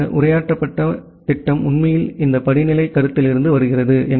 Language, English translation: Tamil, So, this addressed scheme actually comes from this hierarchical concept